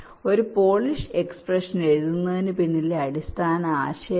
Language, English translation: Malayalam, so this is the basic idea behind writing a polish expression